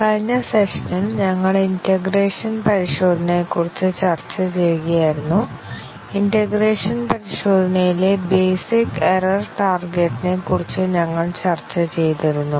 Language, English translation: Malayalam, In the last session, we were discussing integration testing, and we had discussed about the basic error target in integration testing